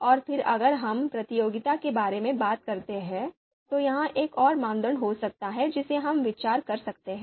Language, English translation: Hindi, And then if we talk about the competition you know you know you know this could be another criteria that we can consider